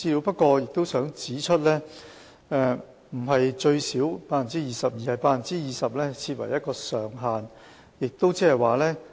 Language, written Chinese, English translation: Cantonese, 不過，我想指出，不是最少 20%，20% 是設定的上限。, However I would like to point out that 20 % is not the minimum . It is the ceiling set